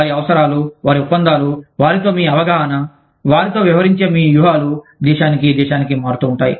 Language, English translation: Telugu, Their requirements, their contracts, your understanding with them, your strategies for dealing with them, will vary from, country to country